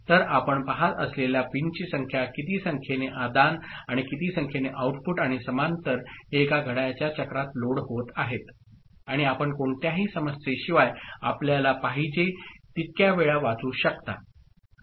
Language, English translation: Marathi, So, the number of pins as you see, as many number of inputs and as many number of outputs and parallelly it is getting loaded in one clock cycle and you can do as many times of reading as you want without any issue ok